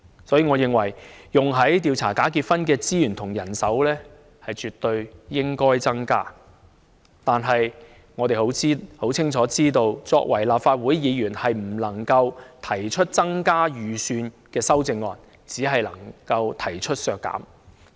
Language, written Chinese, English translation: Cantonese, 所以，我認為，用於調查假結婚的資源和人手絕對應該增加，但我們清楚知道，作為立法會議員，我們不能提出增加預算的修正案，只可以提出削減。, Therefore it is my view that the resources and manpower for investigation of bogus marriages should definitely be increased . But we are well aware that as Legislative Council Members we cannot propose any amendment seeking to increase the estimates but only proposals for reductions